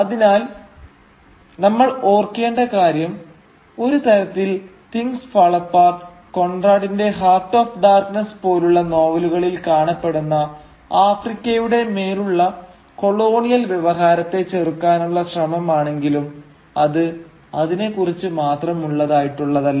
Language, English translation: Malayalam, So we should remember that, though Things Fall Apart at one level is an attempt to counter the colonial discourse on Africa as it appears in novels like Conrad’s Heart of Darkness, it is not solely about that